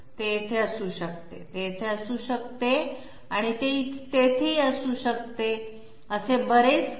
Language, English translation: Marathi, It can be here, it can be here sorry it can be here, it can be there, it can be here, so many